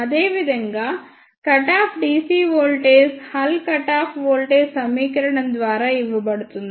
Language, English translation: Telugu, Similarly, the cut off ah dc voltage is given by hull cut off voltage equation